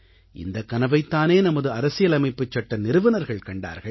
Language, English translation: Tamil, After all, this was the dream of the makers of our constitution